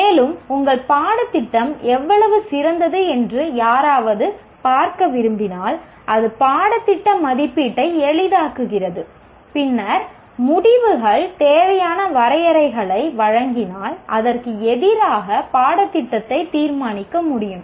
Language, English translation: Tamil, If somebody wants to look at how good is your curriculum, then if the outcome based, the outcomes provided the required benchmarks against which the curriculum can be judged